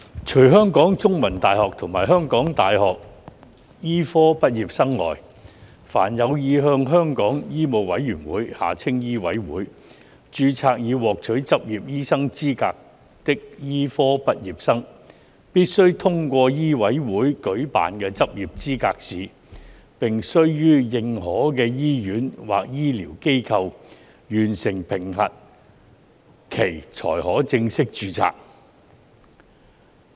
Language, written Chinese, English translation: Cantonese, 除香港中文大學及香港大學的醫科畢業生外，凡有意向香港醫務委員會註冊以獲取執業醫生資格的醫科畢業生，必須通過醫委會舉辦的執業資格試，並須於認可的醫院或醫療機構完成評核期才可正式註冊。, Except for the medical graduates of The Chinese University of Hong Kong and the University of Hong Kong all medical graduates who wish to register with the Medical Council of Hong Kong MCHK for obtaining the qualification of medical practitioners are required to pass the licensing examination LE administered by MCHK and complete a period of assessment in approved hospitals or healthcare institutions before they may be fully registered